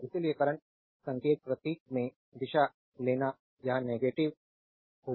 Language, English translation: Hindi, So, current signs your symbol i you will take your direction it will be negative